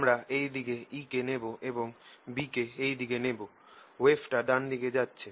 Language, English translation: Bengali, we have taken e going this way and b going this way, wave travelling to the right